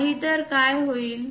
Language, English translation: Marathi, Otherwise what will happen